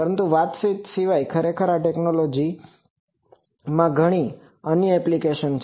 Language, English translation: Gujarati, But, more than communication actually this technology has so many other applications